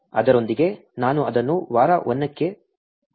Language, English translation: Kannada, With that I will wrap this for week 1